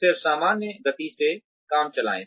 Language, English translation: Hindi, Then, run the job, at a normal pace